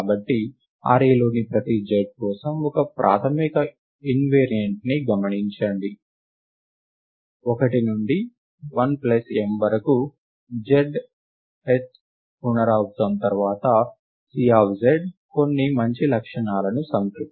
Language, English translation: Telugu, So, let us just observe a primary invariant which says that for every z in the range; 1 to l plus m, after the zth zth iteration C of z satisfies some nice properties